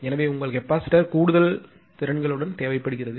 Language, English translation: Tamil, Therefore additional your capacitor is required